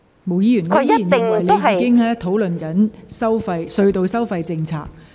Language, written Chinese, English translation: Cantonese, 毛議員，我仍然認為你正在討論隧道收費政策。, Ms MO I still think you are discussing the tunnel toll policy